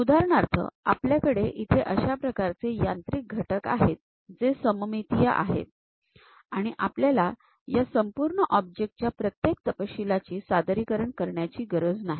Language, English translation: Marathi, For example, here we have such kind of machine element; it is a symmetric one and we do not want to really represent each and every detail of that entire object